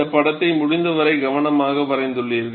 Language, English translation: Tamil, You have carefully drawn this sketch as much as possible